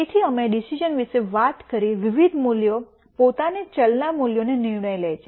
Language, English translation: Gujarati, So, we talked about the decision various values themselves decision variable values themselves